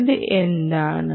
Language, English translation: Malayalam, what is this